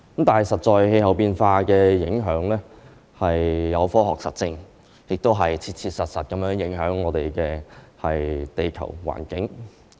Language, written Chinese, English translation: Cantonese, 但事實上，氣候變化的影響是有科學實證的，亦切切實實影響我們的地球環境。, But the fact is that the effects of climate change are proven by scientific evidence and the environment of our planet Earth is actually being affected